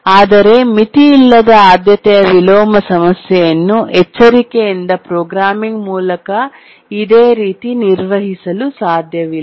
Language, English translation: Kannada, But we will see that the unbounded priority inversion problem cannot be handled in similar way through careful programming